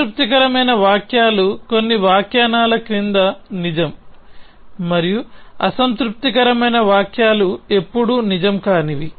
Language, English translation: Telugu, Satisfiable sentences are those which are true under some interpretations and unsatisfiable sentences are those which are never true